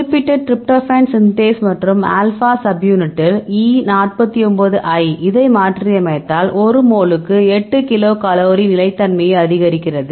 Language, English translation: Tamil, So, in this particular tryptophan synthase and alba subunit that E 49 I, if you mutated this increases stability of 8 kilo cal per mole